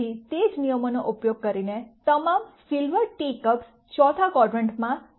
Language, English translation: Gujarati, Again using the same rule all silver teacups the fourth quadrant is c cos